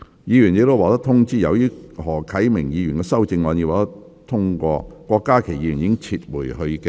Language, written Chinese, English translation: Cantonese, 議員已獲通知，由於何啟明議員的修正案獲得通過，郭家麒議員已撤回他的修正案。, Members have already been informed that as Mr HO Kai - mings amendment has been passed Dr KWOK Ka - ki has withdrawn his amendment